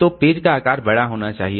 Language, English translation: Hindi, So page size should be high